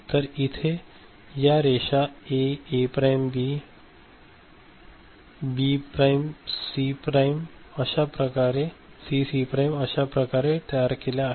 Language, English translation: Marathi, So, these are the lines that are there A, A prime, B, B prime, C, C prime are generated